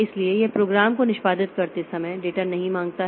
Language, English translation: Hindi, So, it does not ask for data while executing the program